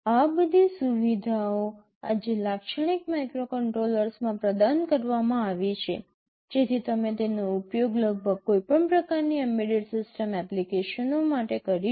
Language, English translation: Gujarati, All these facilities are provided in typical microcontrollers today, so that you can use it for almost any kind of embedded system applications